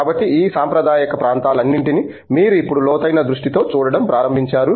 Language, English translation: Telugu, So, in all these traditional areas you are now beginning to see like deeper focus